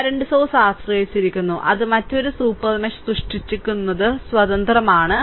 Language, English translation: Malayalam, So, dependent current source is there, it is independent creating another super mesh